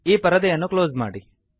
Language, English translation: Kannada, Close this window